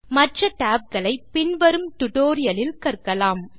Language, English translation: Tamil, We will learn the other tabs in the later tutorials in this series